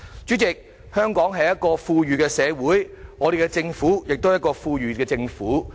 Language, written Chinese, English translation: Cantonese, 主席，香港是一個富裕的社會，我們的政府也是一個富裕的政府。, President Hong Kong is an affluent society and our Government is also an affluent government